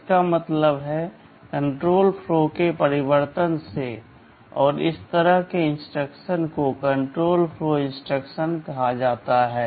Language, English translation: Hindi, This is what is meant by change of control flow, and such instructions are termed as control flow instructions